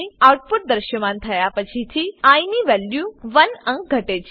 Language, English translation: Gujarati, After the output is displayed, value of i is decremented by 1